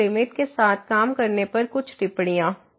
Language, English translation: Hindi, So, now few remarks on working with the limits